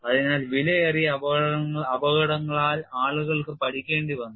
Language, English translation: Malayalam, So, people had to learn by costly accidents